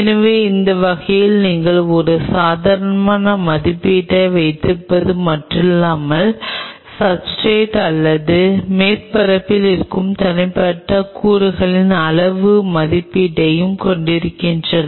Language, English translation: Tamil, So, that way you not only have a qualitative estimate you also have a quantitative estimate of individual elements present on the substrate or surface